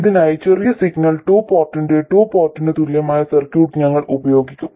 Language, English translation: Malayalam, For this, we will use the circuit equivalent of the two port, of the small signal two port